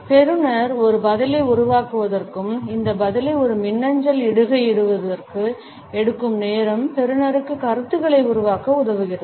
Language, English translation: Tamil, So, the time it takes the receiver to form a reply and to post this reply to an e mail enables the receiver to form opinions